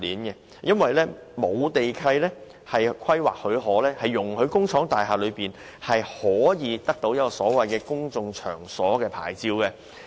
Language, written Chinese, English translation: Cantonese, 因為沒有地契和規劃許可，工廈藝術工作者難以得到公眾場所娛樂牌照。, Without lease condition waivers and planning permissions it is hard for arts practitioners in industrial buildings to obtain the Places of Public Entertainment Licence